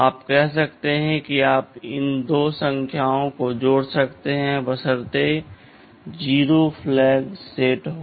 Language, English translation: Hindi, Like youYou can say you add these 2 numbers provided the 0 flag is set